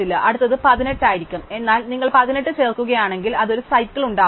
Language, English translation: Malayalam, Now, the next one would be 18, but if you add 18, it would form a cycle